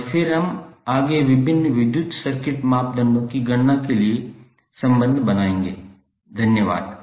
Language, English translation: Hindi, And then we will further build up the relationship for calculation of various electrical circuit parameters, thank you